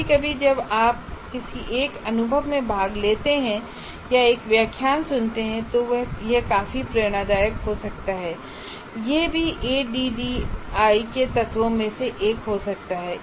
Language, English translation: Hindi, See, sometimes when you participate in one experience or listen to a lecture, it could be quite inspirational and that also can be one of the elements of ADI